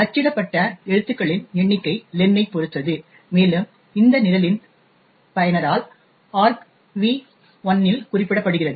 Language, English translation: Tamil, The number of characters that get printed depends on len and which in turn is specified by the user of this program in argv1